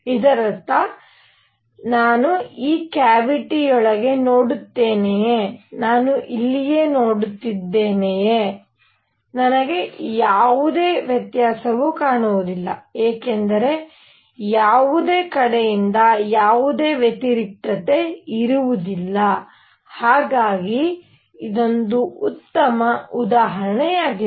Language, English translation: Kannada, That means whether I look inside this cavity, whether I see here, whether I see here, whether I see here, I will not see any difference because there will be no contrast from any side coming, alright, a good example of this